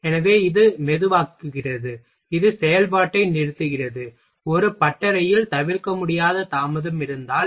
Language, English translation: Tamil, So, it slows down the slows it just stops down the operation, suppose that if there is an unavoidable delay in a workshop